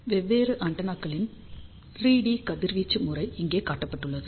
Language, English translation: Tamil, 3 D radiation pattern of the different antennas are shown over here